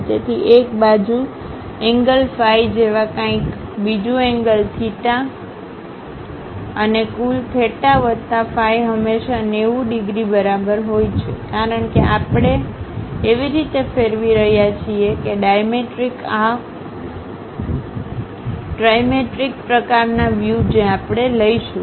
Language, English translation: Gujarati, So, something like an angle phi on one side, other angle theta, and total theta plus phi is always be less than is equal to 90 degrees; because we are rotating in such a way that, dimetric ah, trimetric kind of views we are going to have